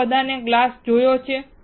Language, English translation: Gujarati, You all have seen glass